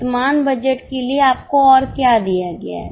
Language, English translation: Hindi, What else is given to you for the current budget